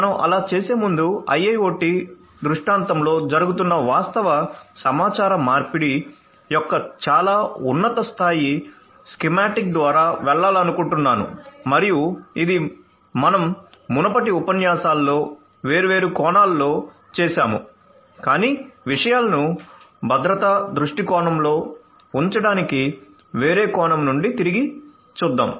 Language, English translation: Telugu, So, before we do so I would like to go through a very high level schematic of the actual communication taking place in an IIoT scenario and this we have done in different different perspectives in the previous lectures, but in order to keep things in the perspective of security let us revisit the whole thing from a different angle